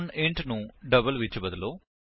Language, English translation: Punjabi, So replace int by double